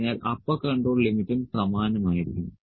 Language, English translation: Malayalam, So, this is my upper control limit